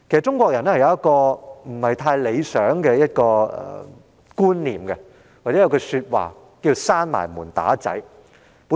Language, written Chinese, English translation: Cantonese, 中國人有一種不太理想的觀念，又或服膺"關上門打仔"之說。, There is an undesirable concept among Chinese people and under which people follow the practice of beating up ones child behind closed door